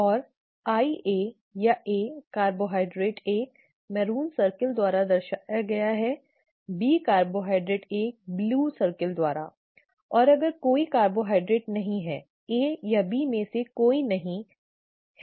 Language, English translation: Hindi, And I A or an A carbohydrate is represented by a maroon circle, a B carbohydrate by or a red circle, B carbohydrate by a blue circle and if there are no carbohydrates neither A nor B and it is small i